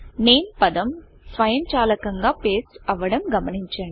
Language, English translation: Telugu, We see that the word NAME gets pasted automatically